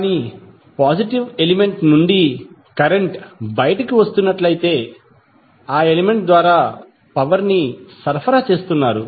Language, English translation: Telugu, But, if the current is coming out of the positive element the power is being supplied by that element